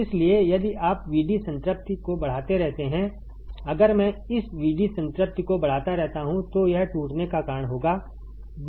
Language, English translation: Hindi, So, if you keep on increasing VD saturation, if I keep on increasing this VD saturation right it will cause a breakdown